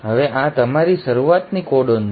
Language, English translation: Gujarati, Now this is your start codon